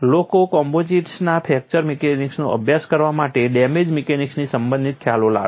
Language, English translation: Gujarati, People bring in concepts related to damage mechanics into studying fracture mechanics of composites